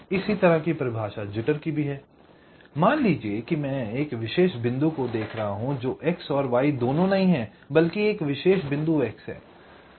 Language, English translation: Hindi, lets say, here i am looking at a particular point, not both x and y, but particular point x